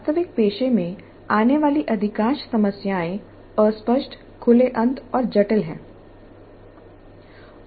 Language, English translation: Hindi, Most of the problems faced in the actual profession are fuzzy, open ended and complex